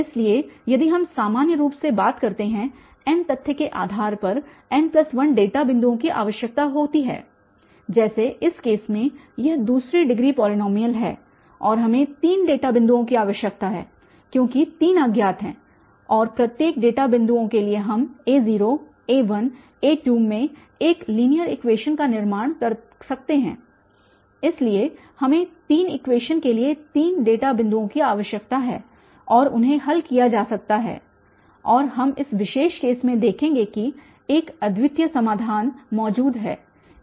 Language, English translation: Hindi, So, if we talk in general n based on the fact n plus 1 data points are required like in this case it is second degree polynomial and we need three data points because there are three unknowns and for each data points we can construct one linear equation in a0, a1, a2 so we need three data points to have three equations and they can be solved and we will see in this particular case that there exist a unique solution